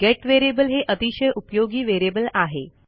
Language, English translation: Marathi, Get variable is a very useful variable type